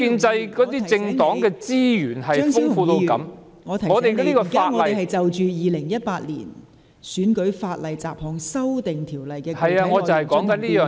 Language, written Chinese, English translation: Cantonese, 張超雄議員，我提醒你，本會現正就《2018年選舉法例條例草案》的具體內容進行辯論。, Dr Fernando CHEUNG I remind you that Council is now holding a debate on the specific contents of the Electoral Legislation Bill 2018